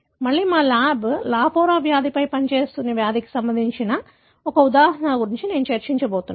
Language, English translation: Telugu, Again, I am going to discuss about one example of the disease that our lab has been working on that is lafora disease